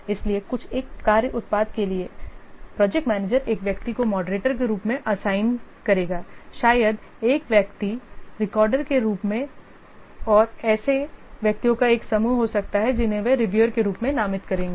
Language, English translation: Hindi, So, for a work product, so the project manager will assign one person as the moderator, maybe one person as the recorder, and there can be a group of persons they will be designated as reviewers